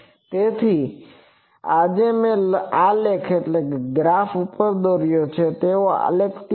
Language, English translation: Gujarati, So, the graph today I have drawn over like graphs are there